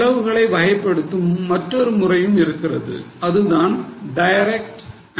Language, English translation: Tamil, Then there is another way of classifying the cost that is by direct and indirect